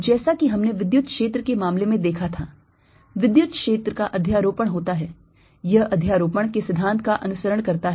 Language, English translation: Hindi, as we saw in the case of electric field, electric field is superimposed, right it ah follows the principle of superposition